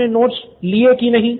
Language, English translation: Hindi, Have you taken down the notes